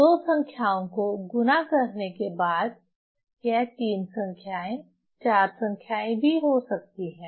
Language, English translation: Hindi, So, after multiplying two numbers, it can be three numbers, four numbers also